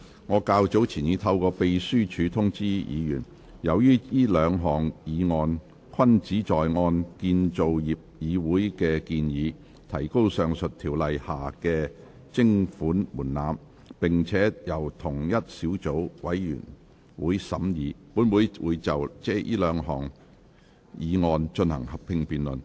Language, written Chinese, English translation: Cantonese, 我較早前已透過秘書處通知議員，由於這兩項議案均旨在按建造業議會的建議，提高上述條例下的徵款門檻，並且由同一個小組委員會審議，本會會就這兩項議案進行合併辯論。, I have earlier informed Members through the Legislative Council Secretariat that as these two motions seek in accordance with the recommendation of the Construction Industry Council to raise the levy thresholds under the above Ordinances and were scrutinized by the same subcommittee this Council will proceed to a joint debate on these two motions